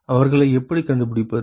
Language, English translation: Tamil, how do we find them